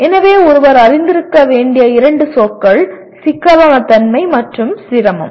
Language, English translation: Tamil, So the two words that one has to be familiar with, complexity and difficulty